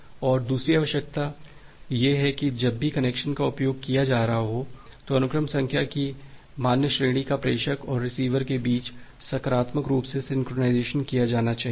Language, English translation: Hindi, And the second requirement is that the valid range of sequence number must be positively synchronized between the sender and the receiver, whenever a connection is being used